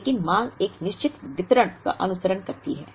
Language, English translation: Hindi, But, the demand follows a certain distribution